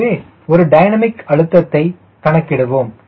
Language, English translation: Tamil, so we will calculate for one dynamic pressure